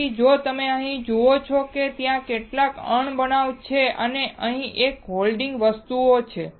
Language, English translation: Gujarati, So, if you see here there are some wrenches and here there is a holding things